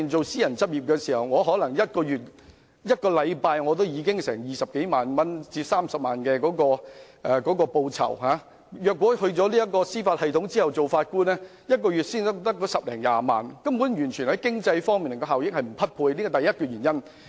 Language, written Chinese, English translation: Cantonese, 私人執業的收入可能每星期高達20萬元至30萬元，但在司法機構擔任法官的薪酬卻只是每月10萬元至20萬元，與經濟效益完全不匹配，這是第一個原因。, While the income earned from private practice may be as high as 200,000 to 300,000 per week the monthly salary of a judge in the Judiciary is only 100,000 to 200,000 which utterly pales in comparison . This is the first reason